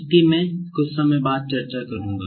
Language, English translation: Hindi, That I am going to discuss after some time